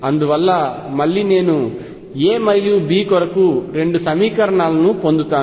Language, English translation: Telugu, Therefore, again I get two equations for A and B